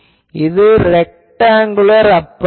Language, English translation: Tamil, It is a rectangular aperture